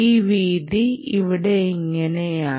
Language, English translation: Malayalam, ah, this width is like this